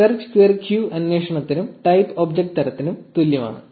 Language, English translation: Malayalam, Search question mark q is equal to query and Type is equal to object type